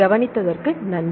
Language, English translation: Tamil, Thanks for your attention